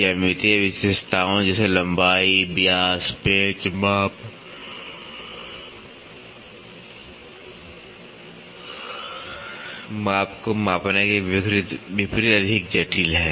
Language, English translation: Hindi, In contrast to measure the geometric features such as length, diameter, screw thread measurement is more complex